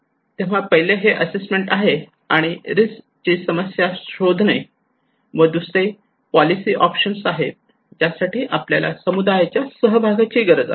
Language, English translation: Marathi, So one is the assessment, finding the problem of the risk; another one is the policy options, for that we need community participation